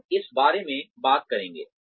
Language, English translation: Hindi, We will talk about this